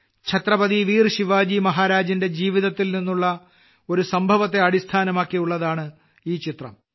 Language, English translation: Malayalam, This painting was based on an incident in the life of Chhatrapati Veer Shivaji Maharaj